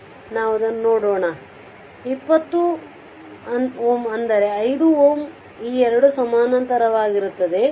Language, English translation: Kannada, So, let us see it is is equal to 20 ohm; that means, and 5 ohm these 2 are in parallel